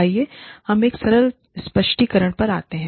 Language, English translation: Hindi, Let us come to a simple explanation